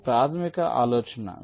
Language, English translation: Telugu, ok, this is the basic idea